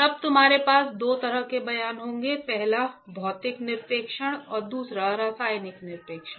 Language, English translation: Hindi, Then you have two kinds of deposition; the first one is physical deposition and second one is chemical deposition